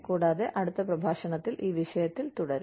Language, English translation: Malayalam, And, we will continue with this topic, in the next lecture